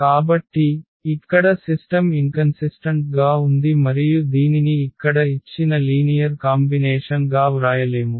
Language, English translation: Telugu, So, here the system is inconsistent and we cannot write down this as linear combination given there